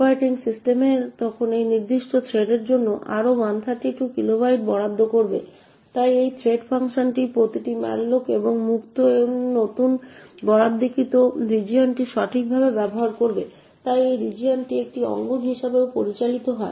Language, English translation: Bengali, The operating system would then allocate another 132 kilobytes for that particular thread, so every malloc and free in this thread function will use this newly allocated region right, so this region is also managed as an arena